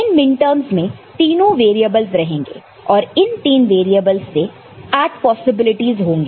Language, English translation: Hindi, The minterms will be having all the three variables and the possibilities are 8 with three variables